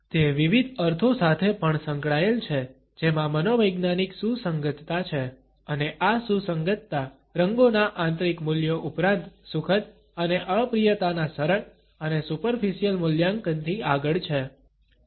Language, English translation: Gujarati, It is also associated with different meanings which have psychological relevance and this relevance goes beyond the intrinsic values of colors as well as beyond the simplistic and superficial appraisals of pleasantness and unpleasantness